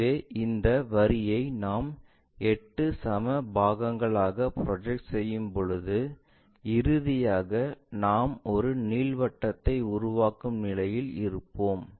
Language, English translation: Tamil, So, that when we are projecting, projecting this line also into 8 equal parts, finally, we will be in a position to construct an ellipsoid